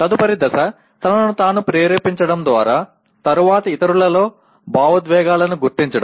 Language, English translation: Telugu, Next stage is motivating oneself and subsequently recognizing emotions in others